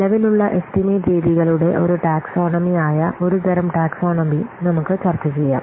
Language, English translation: Malayalam, So let's see at the one type of taxonomy, a taxonomy of the existing estimation methods